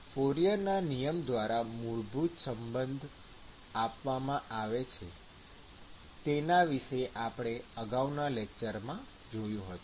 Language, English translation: Gujarati, And this is what is given by Fourier’s law that we saw in the last lecture